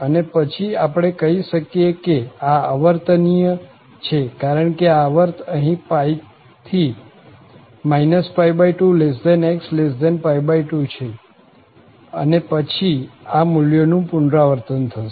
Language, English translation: Gujarati, Then, we can say that this is periodic because this period is here pi from minus pi by 2 to pi by 2 and then this value will be repeated